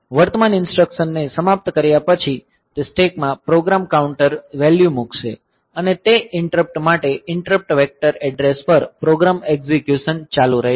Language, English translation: Gujarati, So, after that after finishing the current instruction, so it will be the program counter value into the stack and the program execution will continue at the interrupt vector address for that interrupt